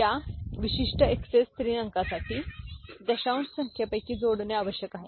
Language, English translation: Marathi, For this particular XS 3 digit, of the decimal number we have to add 3